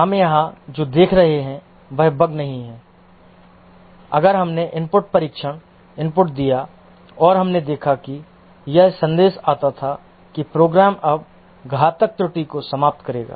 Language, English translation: Hindi, We gave the input, test input, and we observed that this message came that the program will now terminate fatal error